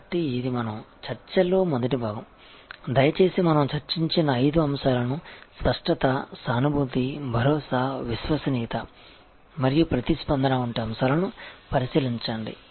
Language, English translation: Telugu, So, as the first part of our discussion, please go over those five factors that we have discussed, tangibility, empathy, assurance, reliability and responsiveness